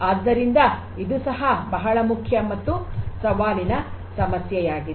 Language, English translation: Kannada, So, this is a very important and a challenging problem as well